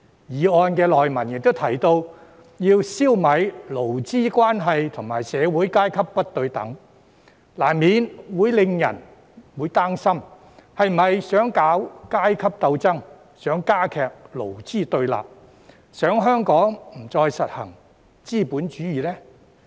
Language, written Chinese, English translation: Cantonese, 議案內文亦提及要"消弭勞資關係和社會階級不對等"，難免會教人擔心是否想搞階級鬥爭、想加劇勞資對立，想香港不再實行資本主義呢？, The body text of the motion also raises the need to eradicate inequalities in labour relations and social classes . Inevitably this will arouse peoples concern as to whether the intention is to stir up class struggle aggravate antagonism between employees and employers and bring an end to the practice of capitalism in Hong Kong